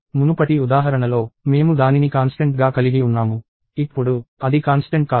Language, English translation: Telugu, In the previous example, we had it as a constant; now, it is not a constant